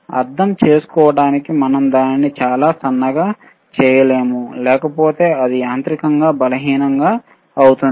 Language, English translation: Telugu, jJust to understand that, we cannot make it too thin, otherwise it will be mechanically weak